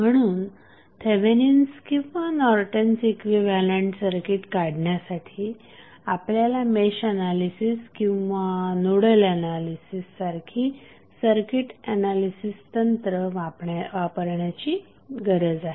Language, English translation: Marathi, So, therefore to determine the Thevenin or Norton's equivalent circuit we need to only find them with the help of a circuit analysis technique that may be the Mesh analysis or a Nodal Analysis